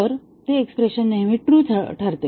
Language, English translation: Marathi, So, that expression turns true always